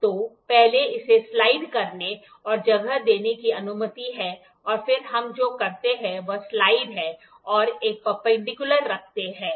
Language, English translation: Hindi, So, first it is allowed to slide and place and then what we do is slide and place a perpendicular